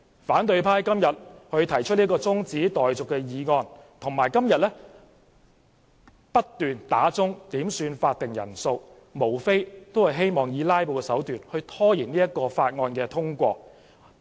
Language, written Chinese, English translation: Cantonese, 反對派議員今天動議中止待續議案，並多次要求點算法定人數，無非是以"拉布"手段拖延《條例草案》通過。, Opposition Members moved an adjournment motion today and requested headcounts time and again to delay the passage of the Bill by means of filibustering